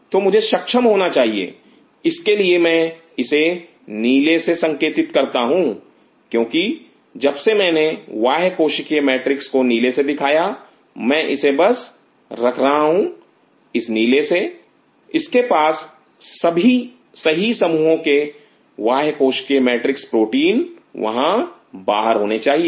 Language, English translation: Hindi, So, I should we able to could this I am just putting blue because since I showed you the extracellular matrix in blue I am just putting it with blue should have the right set of extracellular matrix protein out here